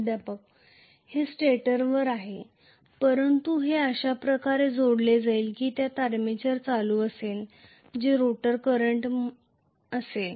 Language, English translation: Marathi, (())(27:31) It is on the stator, but it will be connected in such a way that it carries armature current which is rotor current